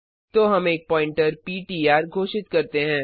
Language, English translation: Hindi, Then we have declared a pointer ptr